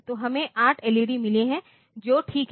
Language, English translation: Hindi, So, we have got 8 LEDs so that is fine